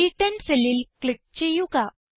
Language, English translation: Malayalam, Now, click on the cell referenced as C10